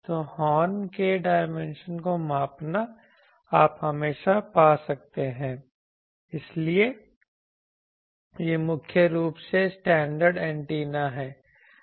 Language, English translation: Hindi, So, measuring the dimension of the horn you can always find so these are mainly standard antenna